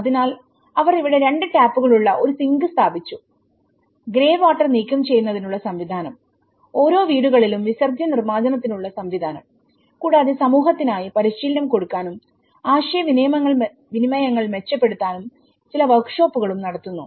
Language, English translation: Malayalam, So here, they installed a sink with two taps, a system of removing grey water connected, a system in each houses for the excreta disposal and there has been also some workshops which has been conducted for the community the training and you know interactions so the community needs how are these identified